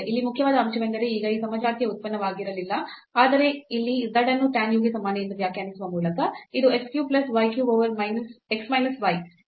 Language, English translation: Kannada, So, here the important point is that this u was not a homogeneous function, but by defining this as the z is equal to tan u which is x cube plus y cube over x minus y it becomes homogeneous